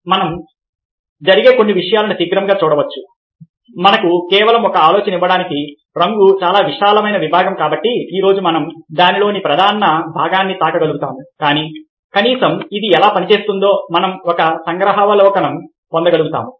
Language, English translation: Telugu, ah, just to give an idea, because colour is a fast field, we will to be able to touch upon the major part of it today, but at least we will able to get a glimpse of how it operates